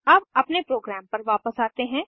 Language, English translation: Hindi, Let us move back to our program